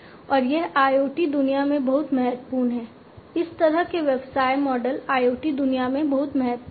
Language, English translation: Hindi, And this is very important in the you know IoT world this kind of business model is very important in the IoT world